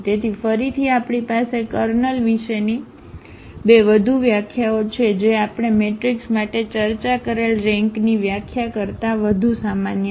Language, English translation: Gujarati, So, these 2 again we have the 2 more definitions of about the kernel which is more general than the definition of the rank we have discussed for matrices